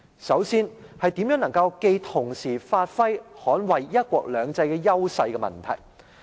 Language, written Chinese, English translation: Cantonese, 首先，是如何能夠既同時發揮、又能捍衞"一國兩制"優勢的問題。, First of all it is the issue concerning how we can capitalize on our strengths under one country two systems and in the meantime defend this principle